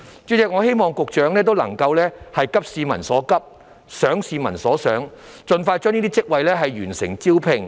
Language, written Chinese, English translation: Cantonese, 主席，我希望勞工及福利局局長能夠急市民所急、想市民所想，盡快完成這些職位的招聘。, President I hope the Secretary for Labour and Welfare can address peoples pressing needs think what people think and complete the recruitment of these jobs expeditiously